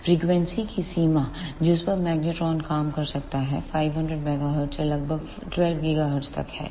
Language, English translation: Hindi, The range of frequencies over which the magnetron can work is from 500 megahertz to about 12 gigahertz